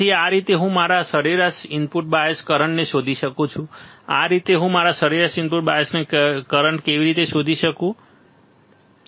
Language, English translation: Gujarati, So, this is how I can find my average input bias current; that is how can I find my average input bias current, all right